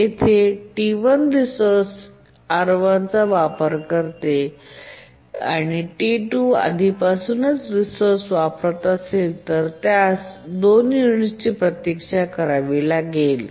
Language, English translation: Marathi, T1 uses the resource R1 and if T2 is already using the resource it would have to wait for two units